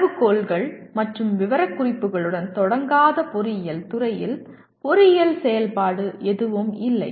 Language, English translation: Tamil, There is no engineering activity out in the field where you do not start with criteria and specifications